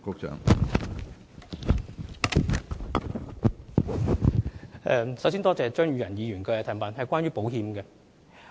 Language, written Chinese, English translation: Cantonese, 首先多謝張宇人議員所提出有關保險的質詢。, First of all I thank Mr Tommy CHEUNG for raising this question about insurance